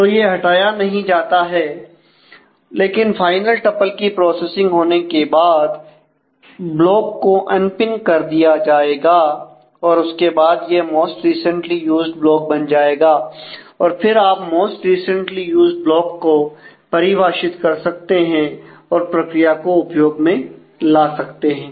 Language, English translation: Hindi, So, that it is not removed, but after the final tuple has been processed, the block will be unpinned and then it becomes a most recently used block and you can go with defining the most recently used block and having the strategy